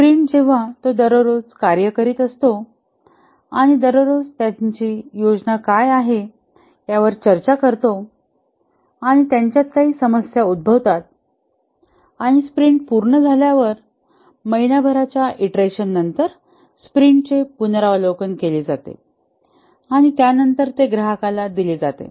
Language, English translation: Marathi, A sprint as it continues every day the team meet and discuss what is their plan for every day and are there any problems that they are facing and after a month long iteration the, the sprint is completed, the sprint is reviewed for what has been accomplished and then it is delivered to the customer